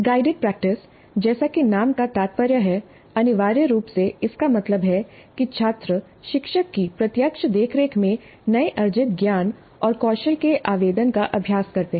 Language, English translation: Hindi, The guided practice as the name implies essentially means that students practice the application of newly acquired knowledge and skills under the direct supervision of the teacher